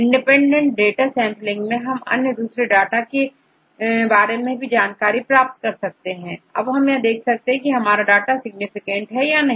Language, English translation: Hindi, From the sampling of independent data right, you can have the various several different data right, and from this sampling, you see whether your data is significant or not